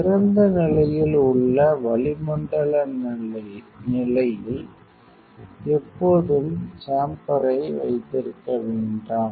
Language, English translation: Tamil, Always do not keep the chamber in the atmospheric condition of open conditions